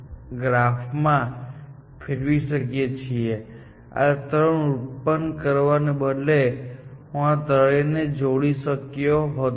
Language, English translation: Gujarati, We could have converted this into a graph by, instead of generating these three, I could have connected them to these three, and then, it would have been a graph